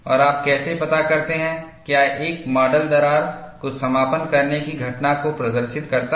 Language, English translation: Hindi, And, how do you judge, whether a specimen displays crack closure phenomena